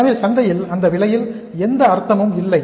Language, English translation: Tamil, So there is no point selling at that price in the market